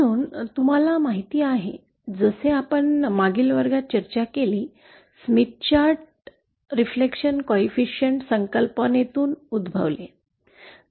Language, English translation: Marathi, So as you know, as we discussed in the previous class, the Smith Chart originates from the concept of the reflection coefficient